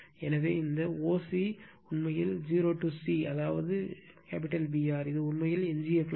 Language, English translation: Tamil, So, this o c actually o to c that is your B r, it is actually residual flux right